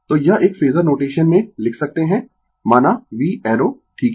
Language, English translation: Hindi, So, this one we can write in phasor notation say v arrow ok